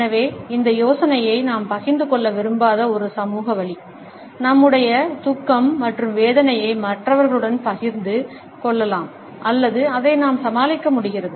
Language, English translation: Tamil, So, this is a social way of passing across this idea that we do not want to share, our sorrow and our pain with others or we are able to put up with it